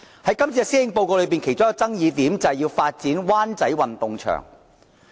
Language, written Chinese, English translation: Cantonese, 在這份施政報告中的其中一個爭議點，便是要發展灣仔運動場。, One major dispute concerning the Policy Address is the proposal to use the Wan Chai Sports Ground for comprehensive development